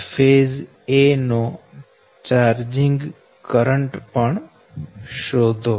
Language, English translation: Gujarati, also, find out the charging current of phase a